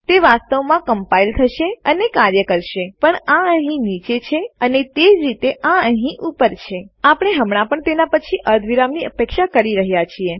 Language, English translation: Gujarati, That would actually compile and work but because this is down here and this is the same as up here we are still expecting a semicolon after that